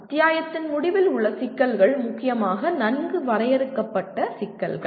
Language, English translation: Tamil, End of the chapter problems are dominantly well defined problems